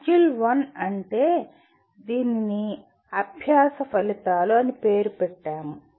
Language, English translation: Telugu, Module 1 is, we titled it as “Learning Outcomes”